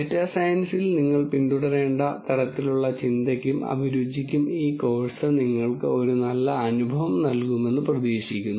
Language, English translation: Malayalam, And this course would have hopefully given you a good feel for the kind of thinking and aptitude that you might need to follow up on data science